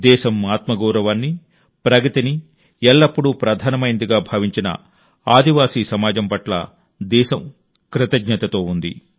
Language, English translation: Telugu, The country is grateful to its tribal society, which has always held the selfrespect and upliftment of the nation paramount